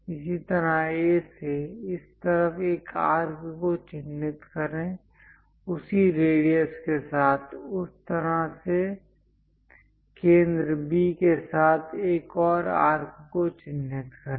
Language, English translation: Hindi, Similarly, from A; mark an arc on this side, with the same radius; mark another arc with the centre B in that way